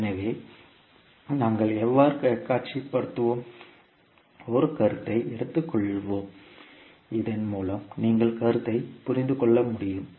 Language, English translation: Tamil, So how we will visualise, let us take an example so that you can understand the concept